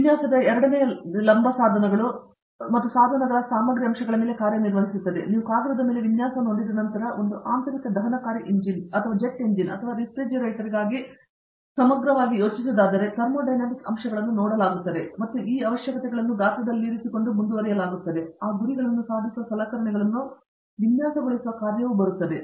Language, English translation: Kannada, The second vertical namely Design, works on the material aspects of equipment and devices so, once you have a design on paper that has been letÕs say, you are talking about an internal combustion engine or jet engine or comprehensive for a refrigerator, once the thermodynamic aspects are being looked at and the requirements have been sized, then comes the task of designing the equipment which actually will achieve those goals